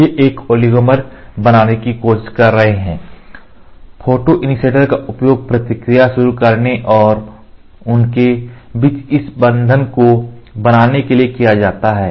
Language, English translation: Hindi, They are trying to form a oligomer and the photoinitiator are used to start the reaction and form this bond between them